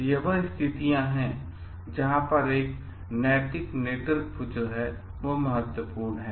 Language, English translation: Hindi, So, that is where this moral leadership is important